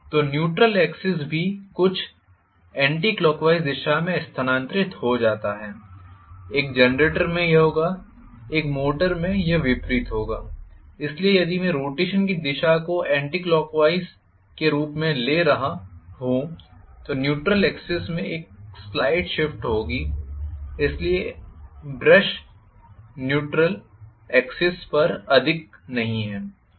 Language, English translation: Hindi, So, the neutral axis is also shifted somewhat anti clock wise, in a generator this will be happen, in a motor it will be opposite, so if I am taking the direction of rotation as anti clock wise I would have a slide shift in the neutral axis, so I am going to have now brushes are not on the neutral axis any more, it looks as though it is somewhere to one side